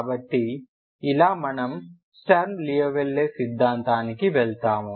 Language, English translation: Telugu, So this we move on to Sturm Liouville theory